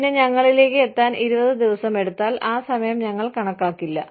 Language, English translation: Malayalam, And then, if it takes 20 days to reach us, it takes 20 days